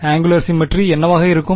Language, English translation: Tamil, When will there be angular symmetry